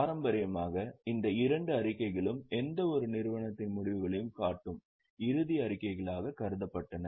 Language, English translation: Tamil, Traditionally, these two statements were considered as the final statements showing the results of any entity